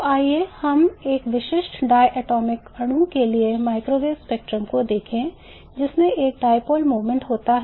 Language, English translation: Hindi, So let us look at the microwave spectrum for a typical diatomic molecule which has a dipole moment